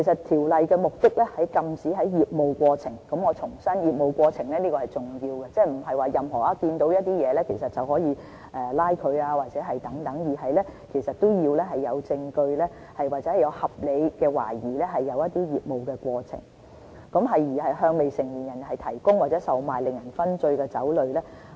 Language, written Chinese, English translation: Cantonese, 條例的目的是禁止在業務過程中——我重申：業務過程是重要的，即不是在任何情況下，都可以執法——根據證據或合理懷疑，有人在業務過程中向未成年人提供或售賣令人醺醉的酒類。, The purpose of the Ordinance is to prohibit based on evidence or reasonable suspicion the provision or the sale of intoxicating liquor to minors in the course of business . I repeat the expression in the course of business is the key point here . The law will not apply to cases other than those which happen in the course of business